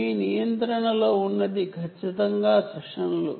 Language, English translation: Telugu, what you have in control is definitely the sessions